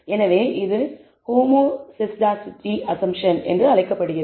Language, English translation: Tamil, So, this is called homoscedasticity assumption